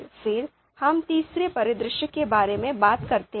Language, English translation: Hindi, Then we talk about third scenario